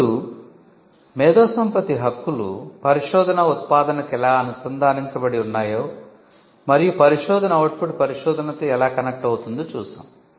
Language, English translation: Telugu, Now, we just saw how intellectual property rights are connected to the research output and how the research output is connected to what gets into research